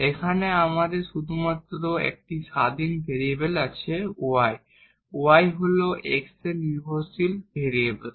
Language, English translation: Bengali, So, only one dependent variable that is y and one independent variable that is x